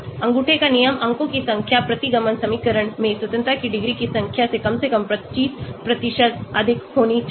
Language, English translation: Hindi, The rule of thumb, the number of points should be at least 25% more than the number of degrees of freedom in the regression equation